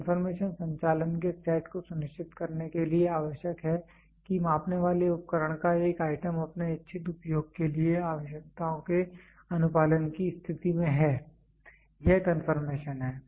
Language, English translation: Hindi, Confirmation is the set of operations required to ensure that an item of measuring equipment is in a state of compliance with requirements for its intended use, this is confirmation